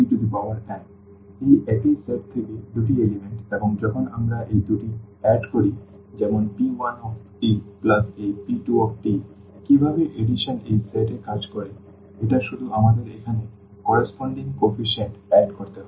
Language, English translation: Bengali, So, these are the two elements from the same set and when we add these two so, p 1 t plus this p 2 t how the addition works in this set it is just we have to add the corresponding coefficients here